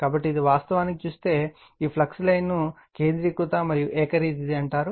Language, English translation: Telugu, So, this is actually if you look into that, this flux line is you are called your concentric right and uniform